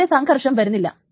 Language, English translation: Malayalam, So there is a conflict here